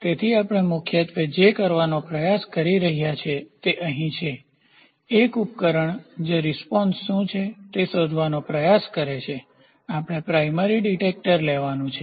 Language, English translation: Gujarati, So, what we are predominantly trying to do is here is one device which tries to find out what is the response, we are supposed to take primary detector